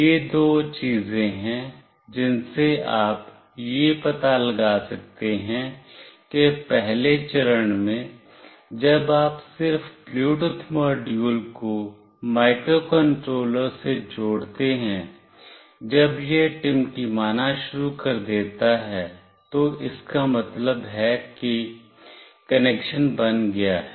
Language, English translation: Hindi, These are the two things from which you can find out that in the first phase when you just connect the Bluetooth module with microcontroller, when it starts blinking that mean the connection is built